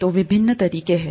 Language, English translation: Hindi, So there are various ways